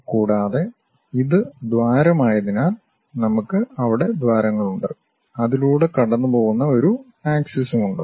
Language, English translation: Malayalam, And, because this is the hole, we have that bore there and there is a axis line which pass through that